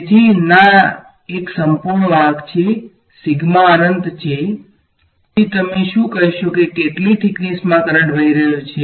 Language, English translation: Gujarati, So, no it is a perfect conductor sigma is infinity, then what will you say where is how much thickness is the current flowing in